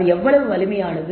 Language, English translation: Tamil, And how strong is this